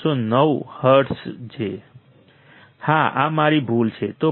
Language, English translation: Gujarati, 309 hertz right yeah this is my mistake